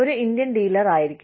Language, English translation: Malayalam, Could be an, Indian dealer